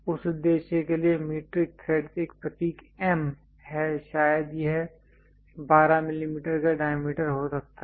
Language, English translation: Hindi, The metric threads for that purpose there is a symbol M perhaps it might be having a diameter of 12 mm